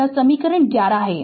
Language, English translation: Hindi, This is equation 11 right